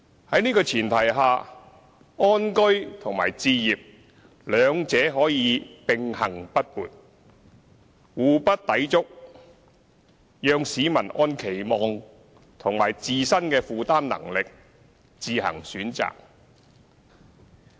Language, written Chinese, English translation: Cantonese, 在這前提下，安居和置業兩者可以並行不悖，互不抵觸，讓市民按期望及自身的負擔能力自行選擇。, On this premise living happily and owing a home can run in parallel without being in conflict with each other serving as two options between which people can choose based on their own expectations and affordability